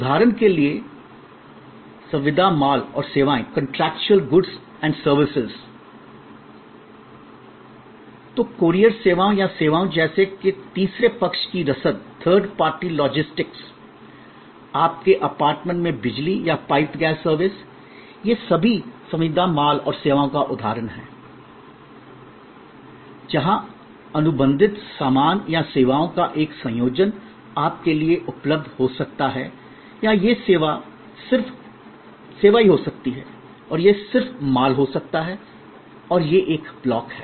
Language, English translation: Hindi, So, courier services or services like third party logistics or piped gas service to your apartment and electricity supply, all these are example of contractual goods and services, where contractually either a combination of goods and services may be available to you or it can be just service or it can be just goods and this is one block